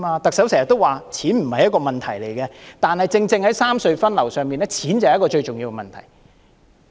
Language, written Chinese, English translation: Cantonese, 特首經常說錢不是一個問題，但正正在三隧分流的問題上，錢是最重要的問題。, The Chief Executive often says that money is not a problem but as far as the issue of rationalizing traffic among the three tunnel is concerned the crux of the problems lies in money